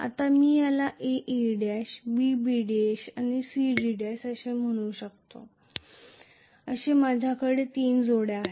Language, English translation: Marathi, Now I may call this as A A dash B B dash and C C dash so I have three pairs of poles